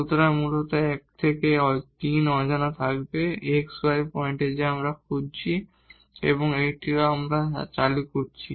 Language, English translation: Bengali, So, 1 will go 3 unknowns basically the x y will be the points we are looking for and also this lambda we have introduced